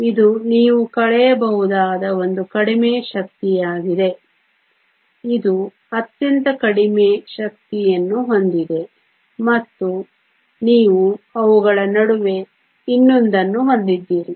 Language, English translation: Kannada, This is the lowest energy you can also do one subtraction this is the lowest energy this has the highest energy and then you have one more in between them